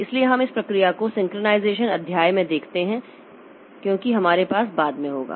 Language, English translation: Hindi, So, we'll look into this in process synchronization chapter as we'll say later